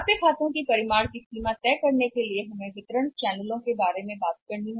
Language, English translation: Hindi, To decide the extent of the magnitude of the accounts receivables we will have to talk about think about the channel of distribution